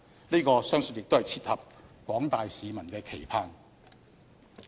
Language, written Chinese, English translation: Cantonese, 這個相信亦切合廣大市民的期盼。, I believe this also meets the expectation of the general public